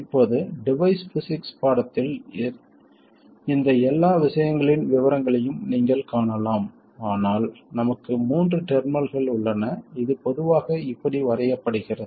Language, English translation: Tamil, Now again the details of all of these things you may find in device physics course but for us there are three terminals it is usually drawn like this